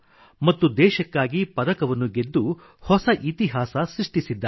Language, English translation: Kannada, And she has created history by winning a medal for the country